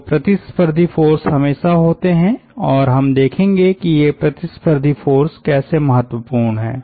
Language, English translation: Hindi, so there are always competitive forces and we will see that, how this competitive forces are important